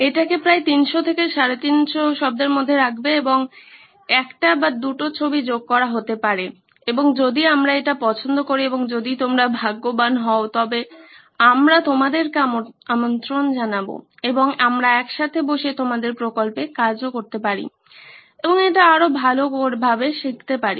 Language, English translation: Bengali, Put it in about 300 to 350 words and may be add a picture or two and if we like it and if you are lucky, we will invite you over and we can sit together and actually work on your project and make it better